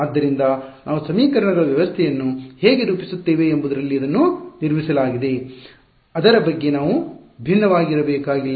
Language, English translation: Kannada, So, that is built into how we formulate the system of equations, we need not vary about it